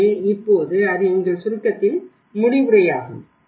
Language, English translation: Tamil, So now, that is the end of the our summary